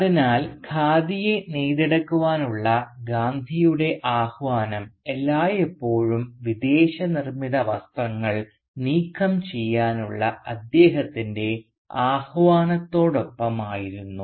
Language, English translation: Malayalam, So Gandhi’s call therefore to weave Khadi was always accompanied by his call to do away with the foreign made clothes